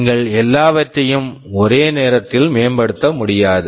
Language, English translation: Tamil, You cannot improve everything at once